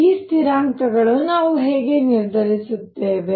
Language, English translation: Kannada, How do we determine these constants